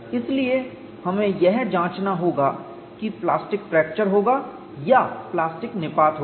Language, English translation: Hindi, So, we will have to investigate whether fracture would occur or plastic collapse would occur